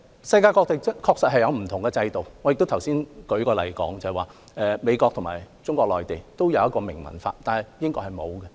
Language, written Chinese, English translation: Cantonese, 世界各地確實有不同制度，我剛才已指出，美國和中國內地都有一項明文法，但是英國卻沒有。, Different places in the world have introduced different systems . I have pointed out that the United States and Mainland China have enacted legislation but not the United Kingdom